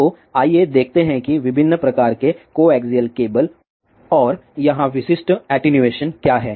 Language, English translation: Hindi, So, let us see different types of the coaxial cable and what are the typical attenuation here